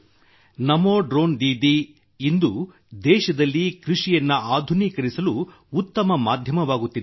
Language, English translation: Kannada, This Namo Drone Didi is becoming a great means to modernize agriculture in the country